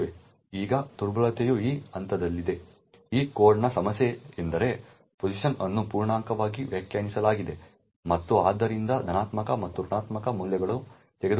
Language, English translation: Kannada, Now the vulnerability is at this point, problem with this code is that pos is defined as an integer and therefore can take both positive as well as negative values